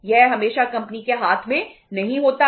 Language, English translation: Hindi, It is not always in the hands of the company